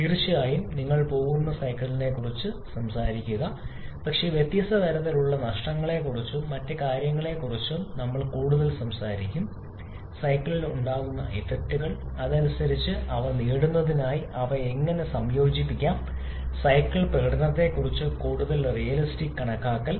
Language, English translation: Malayalam, Of course, you are going to talk about the cycles, but we shall be talking more about the different kind of losses and other effects that can be present in the cycle and accordingly how we can incorporate them to get a more realistic estimation about the cycle performance